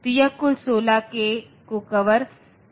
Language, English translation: Hindi, So, this covers the total of 16 k